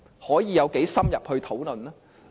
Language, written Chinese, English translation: Cantonese, 可以有多深入討論呢？, How much detail can we go into?